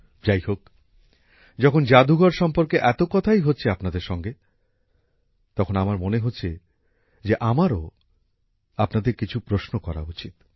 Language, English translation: Bengali, By the way, friends, when so much is being discussed with you about the museum, I felt that I should also ask you some questions